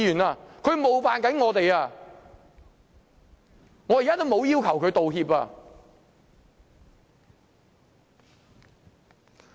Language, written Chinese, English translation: Cantonese, 他正在冒犯我們，我現在也沒有要求他道歉。, He is offending us but I do not require him to apologize